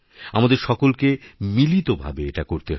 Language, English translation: Bengali, We have to do this together